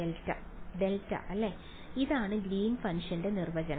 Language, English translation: Malayalam, Delta right, this is the definition of Greens function right